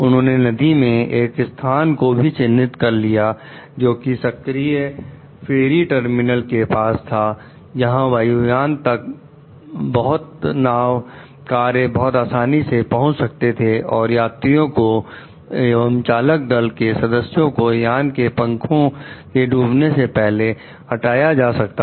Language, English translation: Hindi, He also chose a location in the river close to an active ferry terminal, where boats could quickly reach the plane and remove its passengers and crews before the plane s wing sank